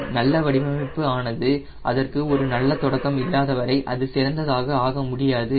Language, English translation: Tamil, a good design, unless it has a good beginning, it can never become excellent right